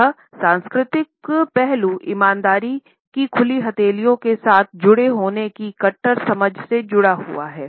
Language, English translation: Hindi, And this cultural aspect has come to be associated with our archetypal understanding of honesty being associated with open palms